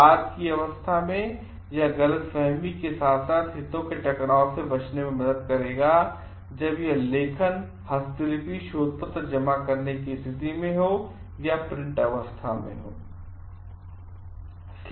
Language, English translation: Hindi, It will help in avoiding misunderstandings as well as conflict of interest at a later stage so, when it is in the submission or in a print state